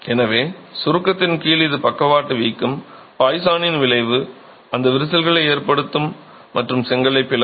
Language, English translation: Tamil, So, under compression it is the lateral bulging, the poisons effect which will cause those cracks and split the brick